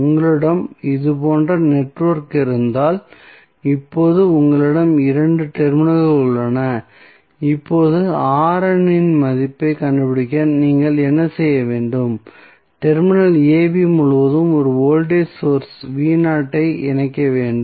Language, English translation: Tamil, So, suppose if you have the network like this, where you have 2 terminals AB now, what you have to do to find the value of R n you have to connect a voltage source V naught across terminal AB